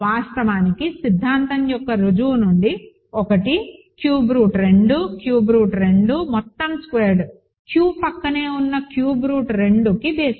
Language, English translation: Telugu, In fact, from the proof of the theorem 1 cube root of 2, cube root of 2 whole squared is a basis of Q adjoined cube root of 2 over Q